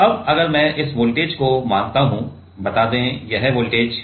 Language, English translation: Hindi, Now, if I consider this voltage to be; let us say, this voltage is V i